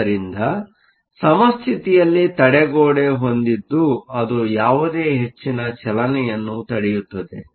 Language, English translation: Kannada, So, at equilibrium you have a barrier that is setup that prevents any further motion